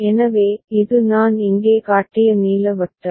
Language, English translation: Tamil, So, this is the blue circle that I have shown here